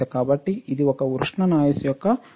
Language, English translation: Telugu, So, this is an example of thermal noise